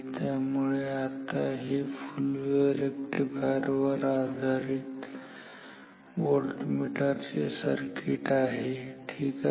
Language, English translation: Marathi, Now so, this is the circuit for full wave rectifier based voltmeter ok